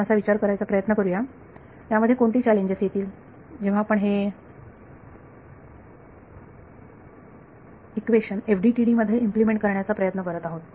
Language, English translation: Marathi, So, let us try to just think of what are the challenges that will come when we are trying to implement this equation in FDTD